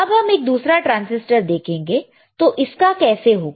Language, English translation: Hindi, Let us see the another transistor, then how about this